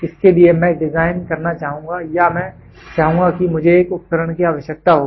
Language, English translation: Hindi, For this I would like to design or I would like to have I would need an instrument